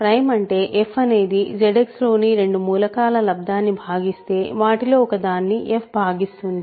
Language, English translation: Telugu, Prime means if f divides a product of two elements in Z X f divides one of them